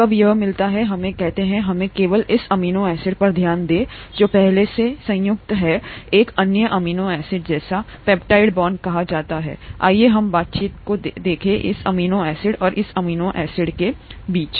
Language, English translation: Hindi, When this meets, let us say, let us just focus on this amino acid here, which is already combined to another amino acid through what is called a peptide bond; let us look at the interaction between this amino acid and this amino acid